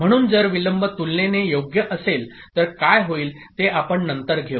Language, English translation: Marathi, So if the delay is comparable, what will happen